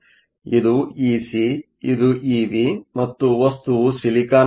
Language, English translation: Kannada, This is E c, this is E v the material is silicon